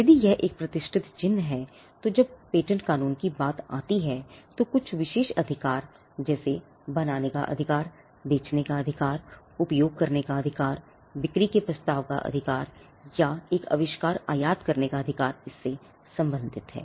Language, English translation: Hindi, If the mark is well know if it is a reputed mark the exclusive set of rights when it comes to patent law, on a patent pertain to the right to make, the right to sell the right to use, the right to offer for sale and the right to import an invention